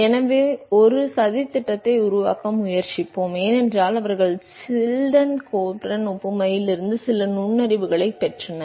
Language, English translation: Tamil, So, let us try to make a plot, because they got some insight from Chilton Colburn analogy